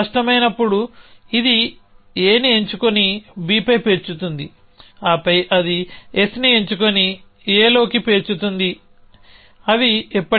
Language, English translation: Telugu, Then it will pick up A and stack on B then it will pick up S and stack into A those will never come